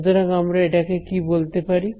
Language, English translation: Bengali, So, what can I call it